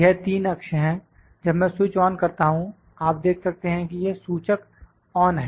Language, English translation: Hindi, This is these are the three axis when I switch on, you can see that the indicator is on